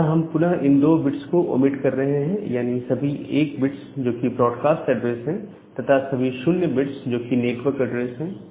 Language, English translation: Hindi, Again for these two we are omitting all 1’s which is the broadcast address; and all 0’s which is the network address